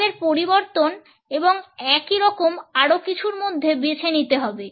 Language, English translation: Bengali, We have to choose between change and more of the same